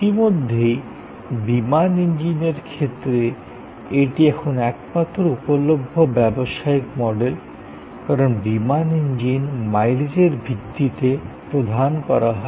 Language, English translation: Bengali, Already, in aircraft engines, this is the only business model; that is now available, because aircraft engines are provided on the basis of mileage to be flown